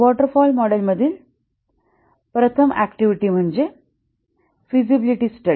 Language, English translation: Marathi, The first activity in the waterfall model is the feasibility study